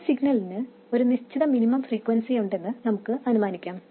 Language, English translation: Malayalam, As before we assume that the signal frequency has some minimum value which is not zero